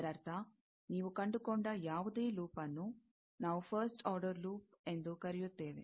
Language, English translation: Kannada, That means that, any loop you find, that we will call a first order loop